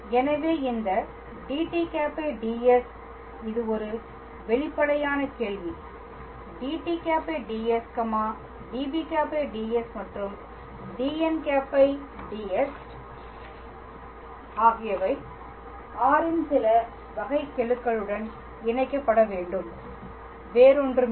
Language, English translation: Tamil, So, this dt ds the obvious question is this dt ds db ds and dn ds must connect with some derivatives of r and nothing else